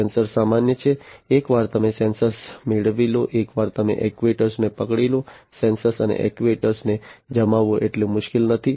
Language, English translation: Gujarati, Sensors are common, once you get the sensors, once you get hold of the actuators, it is not so difficult to deploy the sensors and actuators